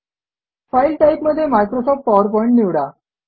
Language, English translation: Marathi, In the file type, choose Microsoft PowerPoint